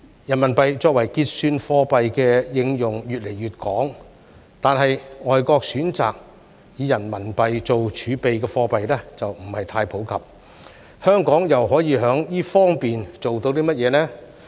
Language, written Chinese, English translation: Cantonese, 人民幣作為結算貨幣的應用越來越廣，但選擇以人民幣做儲備的外國貨幣卻不太普及，香港又可以在這方面做到甚麼呢？, While RMB has become wider in use as a settlement currency the use of RMB as a reserve currency is not too common . What can Hong Kong do in this respect?